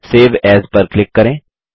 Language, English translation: Hindi, Click on file Save As